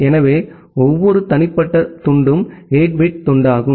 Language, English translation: Tamil, So, every individual chunk is a 8 bit chunk